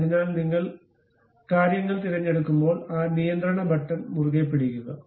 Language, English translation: Malayalam, So, when you are picking the things you have to make keep hold of that control button